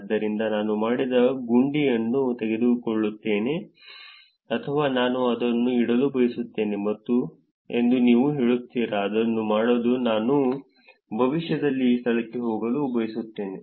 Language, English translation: Kannada, So, I take a button which is done or do you say that I want to keep it is to do which is I want to go to this place in future